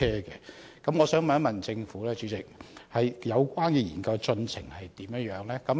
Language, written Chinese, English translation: Cantonese, 主席，我想問政府，有關研究的進度如何？, President may I ask about the progress of the studies?